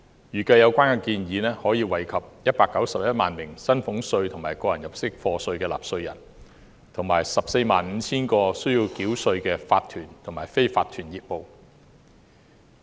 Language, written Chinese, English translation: Cantonese, 預計有關建議可惠及191萬名薪俸稅及個人入息課稅納稅人，以及 145,000 個須繳稅的法團及非法團業務。, It is estimated that the proposal will benefit 1.91 million taxpayers of salaries tax and tax under personal assessment and 145 000 tax - paying corporations and unincorporated businesses